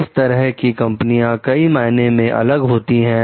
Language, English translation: Hindi, These types of companies differ in several ways